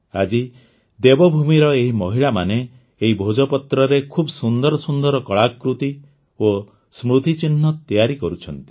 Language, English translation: Odia, Today, these women of Devbhoomi are making very beautiful artefacts and souvenirs from the Bhojpatra